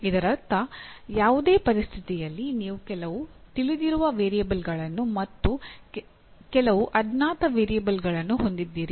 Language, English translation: Kannada, That means in any situation you have some known variables and some unknown variables